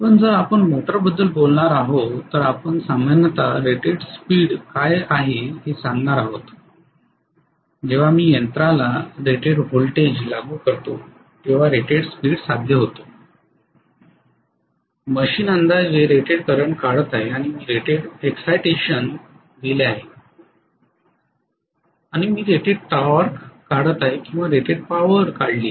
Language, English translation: Marathi, Whereas if we are going to talk about motor normally we are going to say what is the rated speed, rated speed is achieved when I apply rated voltage to the machine, the machine is drawing approximately rated current and I have given rated excitation and I am drawing rated torque or rated power from the machine